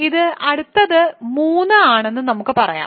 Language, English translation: Malayalam, So, let us say this is next is 3